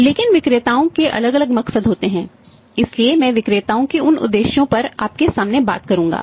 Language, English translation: Hindi, But there are different motives of the sellers so I will come to you on those say motives of the sellers